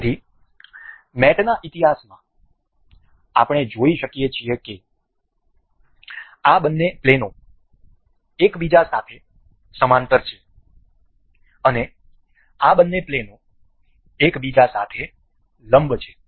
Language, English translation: Gujarati, So, in the mating history we can see these two these two planes are parallel with each other and the these two planes are perpendicular with each other